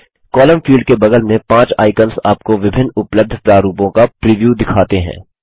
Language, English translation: Hindi, The five icons besides the column field show you the preview of the various formats available